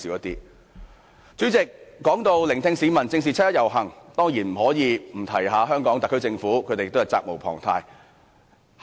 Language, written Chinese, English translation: Cantonese, 代理主席，說到聆聽市民意見、正視七一遊行，當然不能不談香港特區政府，它責無旁貸。, Deputy President when it comes to listening to public views and facing up to the 1 July march I certainly must talk about the Hong Kong SAR Government which cannot shirk its responsibility